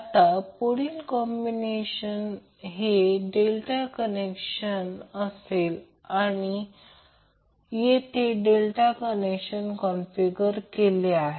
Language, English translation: Marathi, Now next combination is delta connected, so this is basically the delta connected configuration